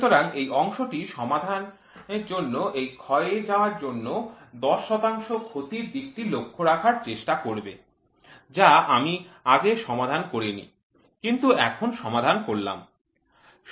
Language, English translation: Bengali, So, this part will try to take care of this wear loss of 10 percent in the problem, which I did not solved wear now I have solved it